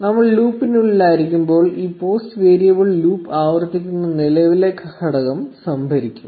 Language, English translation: Malayalam, So, when we are inside the loop, this post variable will be storing the current element being iterated by the loop